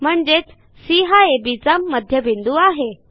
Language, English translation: Marathi, How to verify C is the midpoint of AB